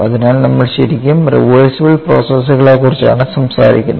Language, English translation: Malayalam, So, we are really talking about reversible processors